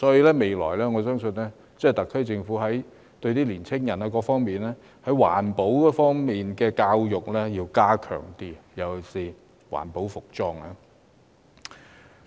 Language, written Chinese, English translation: Cantonese, 因此，我相信未來特區政府將有需要加強青年人對環保方面的教育，尤其是環保服裝。, For this reason I believe the SAR Government may need to enhance the education of young people about the environment especially about eco - friendly clothing